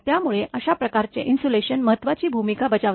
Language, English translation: Marathi, So, those kind of thing insulation plays a significant role